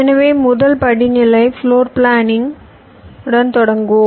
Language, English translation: Tamil, ok, so let us start with the first steps: floorplanning